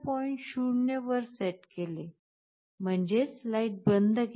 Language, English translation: Marathi, 0, which means the light is switched OFF